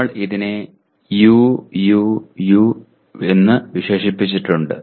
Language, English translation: Malayalam, We have described it as U, U, and U